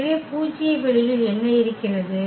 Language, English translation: Tamil, So, what is in the null space